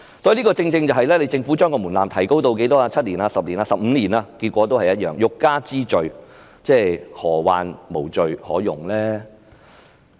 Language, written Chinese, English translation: Cantonese, 因此，即使政府將門檻提高至7年、10年或15年，結果也是一樣，欲加之罪，何患無罪可用呢？, Therefore even if the Government raises the threshold to 7 10 or 15 years the result will be the same . If the prosecution wants to charge someone with an offence it can always find one it can use